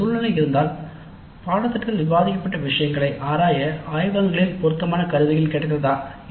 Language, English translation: Tamil, If that is the scenario, whether relevant tools were available in the laboratories to explore the material discussed in the course